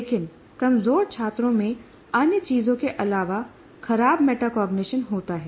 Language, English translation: Hindi, But weaker students typically have poor metacognition besides other things